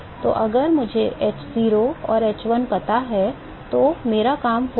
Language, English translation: Hindi, So, if I know h0 and h1, I am done